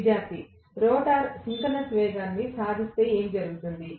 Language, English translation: Telugu, Student: What happens if the rotor achieves synchronous speed